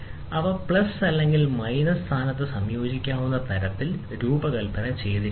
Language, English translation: Malayalam, They are so designed that they may be combined in plus or minus position